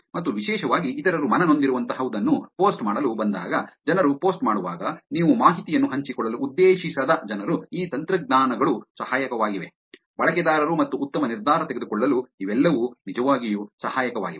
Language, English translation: Kannada, And particularly when it comes to posting something that others are going to be offended, posting something that people are going to, people whom you do not intend to actually share the information, all of this is actually helpful, these technologies are helpful, for the users to make a better decision